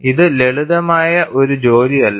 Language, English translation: Malayalam, It is not a simple task